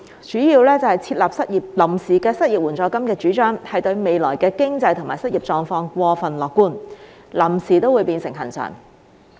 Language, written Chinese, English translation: Cantonese, 第一，設立臨時的失業援助金的主張，對未來經濟和失業狀況過分樂觀，"臨時"都會變成"恆常"。, First the proposal on introducing a temporary unemployment assistance is too optimistic about our future economic and unemployment situation and temporary can become permanent